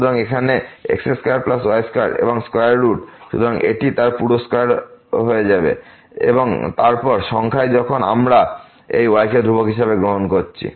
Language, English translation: Bengali, So, here square plus square and the square root; so this will be its whole square and then, in the numerator when we take the derivative treating this y as constant